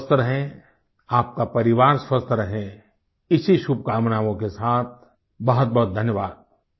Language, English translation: Hindi, You stay healthy, your family stays healthy, with these wishes, I thank you all